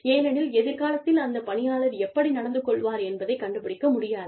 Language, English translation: Tamil, It is not possible to find out, how a person will behave, in future